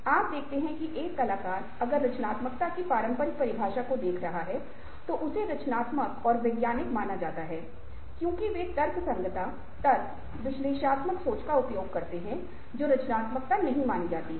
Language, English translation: Hindi, you see that ah a artists were, if you are looking at the traditional definition of creativity, considered creative ah and scientists, because they use rationality, logic, analytical thinking and not creative, considered creative